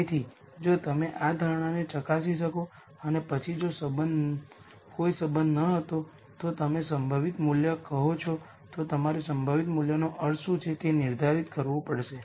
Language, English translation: Gujarati, So, if you could verify this assumption and then if there was no relationship, then you say the most likely value then you have to define what the most likely value means